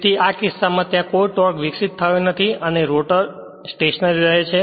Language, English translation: Gujarati, So, in this case you are there no torque developed and the rotor continues to be stationary